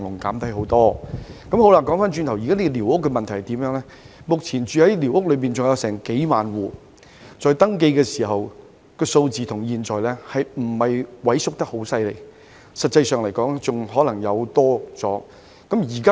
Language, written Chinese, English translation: Cantonese, 回頭說寮屋問題，目前的情況是仍有數萬戶寮屋居民，登記數字與現有數字相比之下未見有太大萎縮，實際上甚至可能有所增加。, Let me now come back to the issue of squatter structures . As things now stand there are still tens of thousands of residents living in squatter structures . Compared with the number of registered squatter area residents this number has not shown any significant decline and in fact there may even be an increase instead